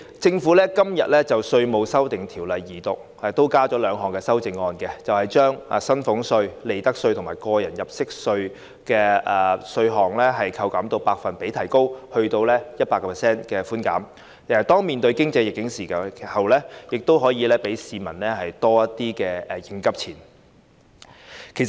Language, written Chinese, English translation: Cantonese, 主席，今天就《條例草案》進行二讀，政府亦提出兩項修正案，從而將寬免薪俸稅、利得稅及個人入息課稅的百分比提高至 100%， 讓市民在面對當前的經濟逆境時，亦可保留多點應急錢。, President with respect to the Second Reading of the Bill today the Government has also proposed two amendments with a view to increasing the percentage rate of concessions on salaries tax profits tax and tax under personal assessment to 100 % so as to allow members of the public to retain more money for coping with contingencies in the face of the prevailing economic adversity